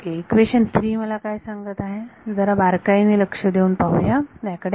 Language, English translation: Marathi, So, what is equation 3 telling me, let us be very close attention to this